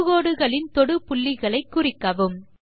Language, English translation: Tamil, Mark points of contact of the tangents